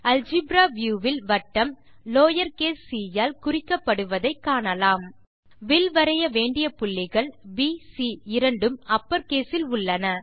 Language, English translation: Tamil, From the algebra view we can see that the circle is referred to as lower case c, and the points between which we want to draw the arc (B,C) both in upper case